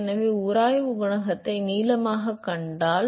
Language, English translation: Tamil, So, if I find the friction coefficient at length